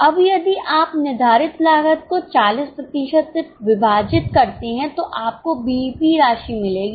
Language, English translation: Hindi, Now if you divide fixed cost by 40%, you will get BEP amount